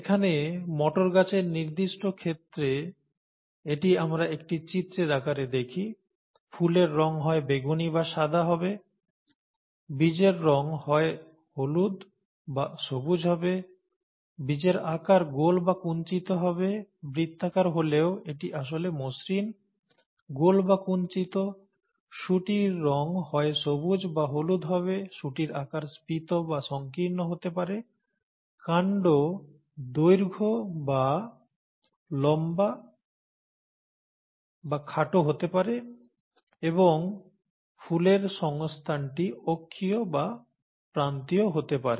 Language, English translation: Bengali, Here, we see it in a pictorial form in the particular case of pea plants; the flower colour would either be purple or white; the seed colour would either be yellow or green; the seed shape would be round or wrinkled, by round it is actually smooth, round or wrinkled; the pod colour could either be green or yellow; the pod shape could be either inflated or constricted; the stem length could be either tall or dwarf; and the flower position could be either axial or at the end, terminal, okay